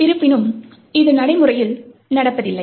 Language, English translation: Tamil, However, this is not what happens in practice